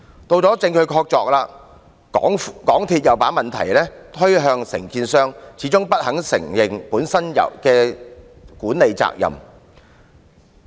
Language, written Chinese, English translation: Cantonese, 到了證據確鑿的時候，港鐵公司又把問題推向承建商，始終不肯承認本身的管理責任。, When there was concrete evidence MTRCL just passed the buck to the contractor refusing to admit its management responsibilities all along